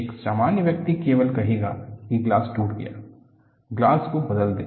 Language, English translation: Hindi, A common man will only say the glass is broken, replace the glass